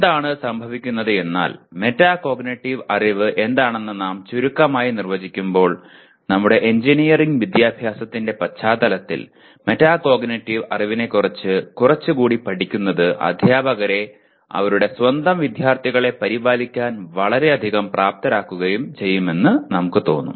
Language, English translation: Malayalam, And what happens is while we define what a Metacognitive knowledge briefly, we felt in the context of our engineering education that learning a little more about metacognitive knowledge will greatly empower the teachers to take care of their own students